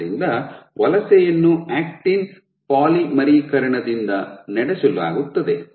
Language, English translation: Kannada, So, migration is driven by actin polymerization